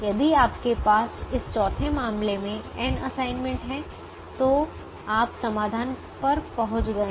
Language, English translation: Hindi, if you have n assignments, in this case four, you have reached the solution